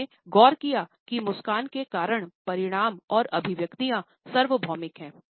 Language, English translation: Hindi, He noticed that the cause consequences and manifestations of a smile are universal